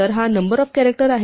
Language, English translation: Marathi, So, this is the number of characters